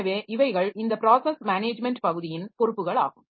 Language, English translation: Tamil, So, this is the responsibilities of this process management part